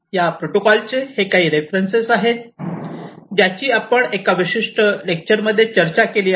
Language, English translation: Marathi, So, these are some of these references for these protocols that we have discussed in this particular lecture